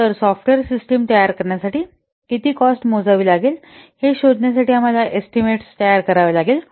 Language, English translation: Marathi, So estimates are made to discover the cost of producing a software system